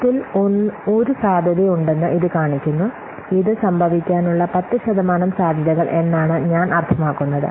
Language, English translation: Malayalam, It estimates that there is a one in 10 chances, I mean what 10% chances of happening this